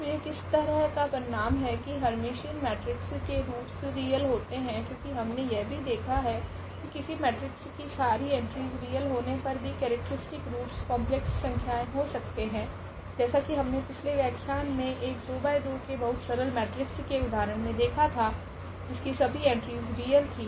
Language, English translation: Hindi, So, what is this result that for Hermitian matrices the roots are real because what we have also seen that though the matrix having all real entries, but we can get the characteristic roots as complex number we have seen in previous lectures one of the examples where we had a very simple 2 by 2 matrix with real entries